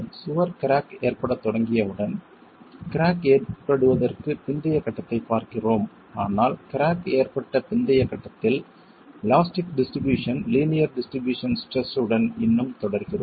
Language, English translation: Tamil, Once the wall starts cracking, we are looking at the post cracking phase but at the post cracking phase we are still continuing with an elastic distribution, linear distribution of stresses